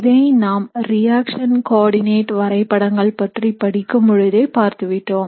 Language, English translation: Tamil, We had looked at this concept when we were looking at reaction coordinate diagrams